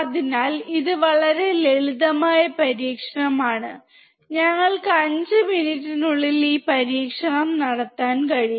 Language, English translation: Malayalam, So, this is extremely simple experiment, and you can perform this experiment within 5 minutes